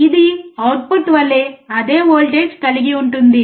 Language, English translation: Telugu, It will have the same voltage as the output